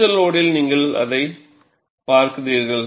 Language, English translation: Tamil, At the peak load, you are looking at it